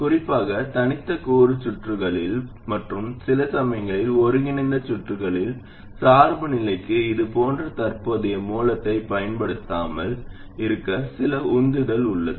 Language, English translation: Tamil, Especially in discrete component circuits, and sometimes in integrated circuits, there is some motivation to not use a current source like this for biasing